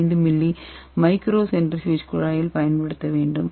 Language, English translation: Tamil, 5 ml micro centrifuge tube and we will be adding 1